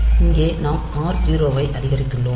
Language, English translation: Tamil, So, the here we have incremented r 0